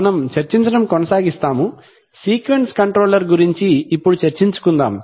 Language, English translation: Telugu, We shall continue to discuss, we shall continue to discuss sequence control